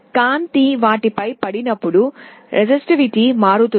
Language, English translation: Telugu, When light falls on them the resistivity changes